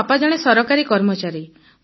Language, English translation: Odia, My father is a government employee, sir